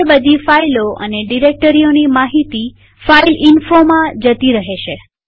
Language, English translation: Gujarati, Now all the files and directories information will be directed into the file named fileinfo